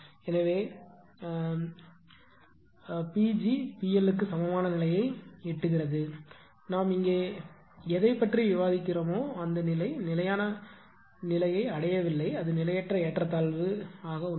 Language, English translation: Tamil, So, in steady state is reached then delta p is equal to delta P L, but whatever we are discussing here the state steady state is not least it is transient imbalance is there